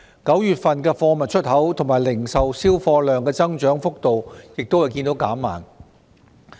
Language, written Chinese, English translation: Cantonese, 9月份貨物出口和零售銷貨量的增長幅度亦見減慢。, The growth in exports of goods and retail sales also slowed down in September